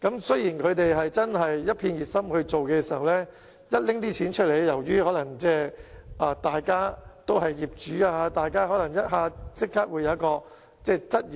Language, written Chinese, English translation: Cantonese, 雖然他們確是十分熱心，但當談到用錢的時候，由於大家都是業主，可能立即提出質疑。, Although they were indeed very enthusiastic about the work of OCs when the use of money was discussed and as they were all owners themselves they might raise queries instantly